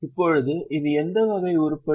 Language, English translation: Tamil, Now it is what type of item